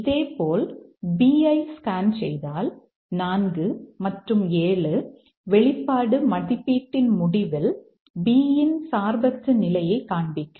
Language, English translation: Tamil, Similarly if we scan through for B we will find that 4 and 7 that show the independent influence of B on the outcome of the expression evaluation